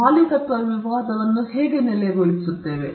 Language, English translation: Kannada, How are we going to settle this ownership dispute